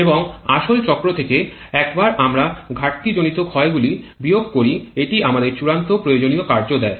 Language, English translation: Bengali, And from the actual cycle once we subtract the frictional losses this is the final useful work that we get